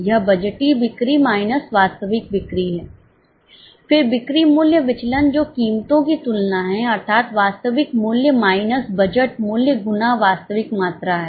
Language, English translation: Hindi, Then sales price variance which is the comparison of prices that is actual price minus budgeted price into actual quantity